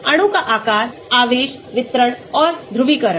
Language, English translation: Hindi, shape of the molecule, charge distribution and the polarizability